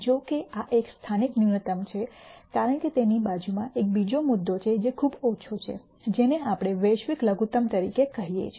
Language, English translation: Gujarati, However, this is a local minimum because right next to it there is another point which is even lower which we call as the global minimum